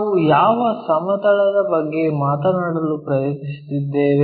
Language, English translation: Kannada, Which plane we are trying to talk about